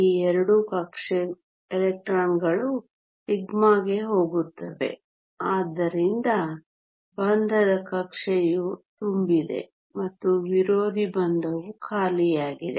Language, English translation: Kannada, Both these electrons will go to the sigma so the bonding orbital is full and the anti bonding is empty